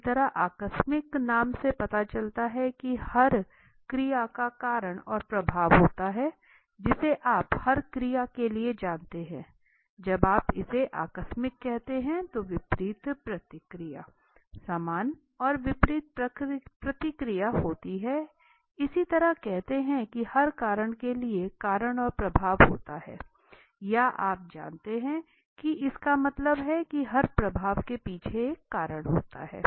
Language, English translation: Hindi, Similarly casual the name suggest is cause and effect every action you know for every action there is an opposite reaction equal and opposite reaction right now when you say this casual similarly says there is cause and effect for every cause there is an effect or you know there is an that means behind every effect there is an cause right